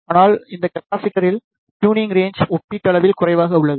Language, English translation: Tamil, But, the tuning range in these capacitors is relatively less